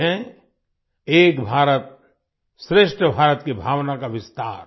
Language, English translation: Hindi, This is the extension of the spirit of 'Ek BharatShreshtha Bharat'